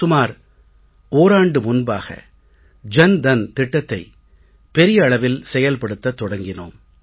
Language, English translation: Tamil, Today when I talk to you, I want to mention that around a year back the Jan Dhan Yojana was started at a large scale